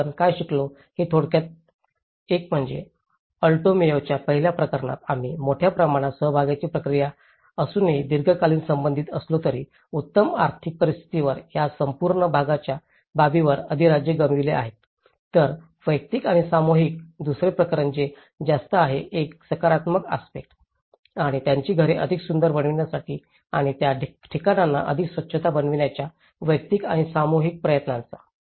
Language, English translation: Marathi, One is, in the first case of Alto Mayo, we see the despite of huge participation process but related in a long run, the better economic status have dominated this whole participation aspect whereas the individual and the collective, the second case which is a more of a positive aspect and the individual and collective efforts of making their houses more beautiful and making the places more hygiene